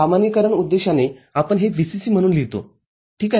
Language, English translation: Marathi, For generalization purpose, we write this as VCC ok